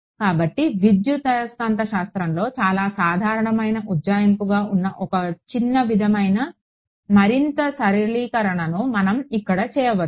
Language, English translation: Telugu, So, one small sort of further simplification we can do over here which is a very common approximation in electromagnetics